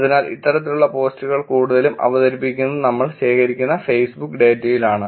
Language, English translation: Malayalam, So, these kinds of post are mostly presented in the Facebook data that we collect